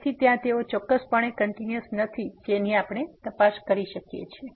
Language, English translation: Gujarati, So, there they are certainly not continuous which we can check